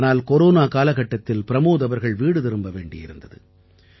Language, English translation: Tamil, But during corona Pramod ji had to return to his home